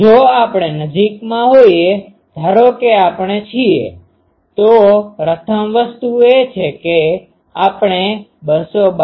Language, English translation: Gujarati, So, if we are nearby, suppose we are, so first thing is we can make a Z antenna of 292